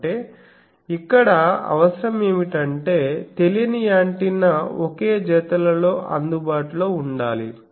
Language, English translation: Telugu, That means, the requirement here is the unknown antenna should be available in identical pairs